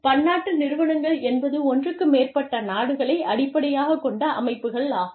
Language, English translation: Tamil, Multinational enterprises are organizations, that are based in more than one country, as the name suggests